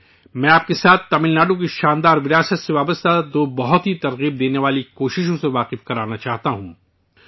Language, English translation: Urdu, I would like to share with you two very inspiring endeavours related to the glorious heritage of Tamil Nadu